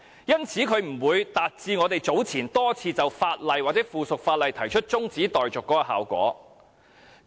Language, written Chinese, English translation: Cantonese, 因此，不會達致我們早前多次就法案或附屬法例動議中止待續議案的效果。, Hence these adjournment motions will not achieve the same effect as those moved by us on a number of bills or subsidiary legislation earlier